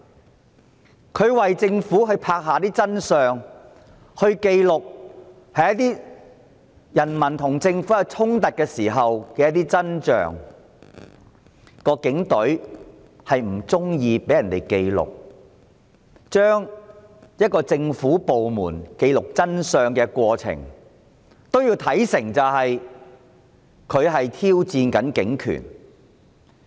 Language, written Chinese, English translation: Cantonese, 港台為政府拍下真相，記錄人民與政府衝突的真象，但因為警隊不喜歡被人記錄，便把一個政府部門記錄的真相，看成是挑戰警權。, RTHK records the truth for the Government . It truthfully records the conflicts between the people and the Government . However the Police Force did not want their enforcement actions to be recorded